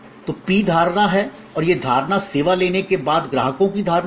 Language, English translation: Hindi, So, P is perception and this perception is customers perception after taking the service, after consuming the service